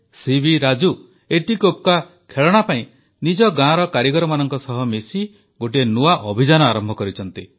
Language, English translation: Odia, C V Raju has now started a sort of a new movement for etikoppakaa toys along with the artisans of his village